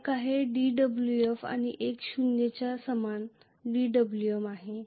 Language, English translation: Marathi, One is dWf the other one is the dWm that equal to zero